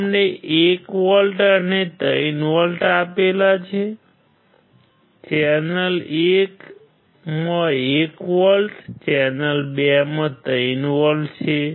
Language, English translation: Gujarati, He has applied 1 volts and 3 volts; channel 1 has 1 volt, channel 2 has 3 volts